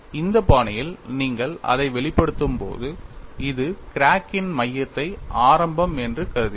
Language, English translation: Tamil, And when you express it in this fashion this is with respect to the center of the crack as the origin